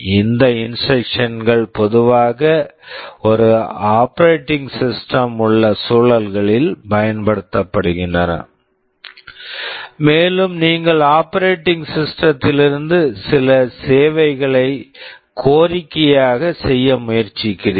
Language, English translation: Tamil, These instructions are typically used in environments where there is an operating system and you are trying to request some service from the operating system